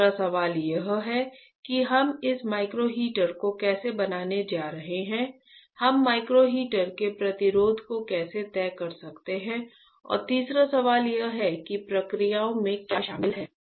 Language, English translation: Hindi, Second question is how we are going to fabricate this micro heater right, how we can decide the resistance of the micro heater and third question is what are the processes involved processes involved um